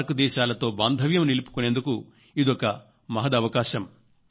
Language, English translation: Telugu, This also is a good opportunity to make relations with the SAARC countries